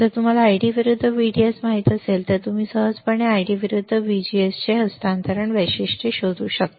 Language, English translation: Marathi, If you know ID versus VDS you can easily find transfer characteristics of ID versus VGS